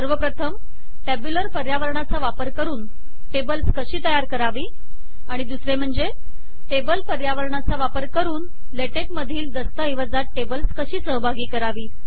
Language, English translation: Marathi, The first is to explain how to create tables using the tabular environment the second objective is to explain how to include tables in latex documents using the table environment